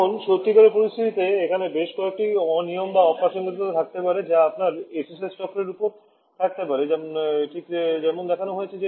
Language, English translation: Bengali, Now, in a real situation there can be several irregularities that can be present in your SSS cycle just like shown here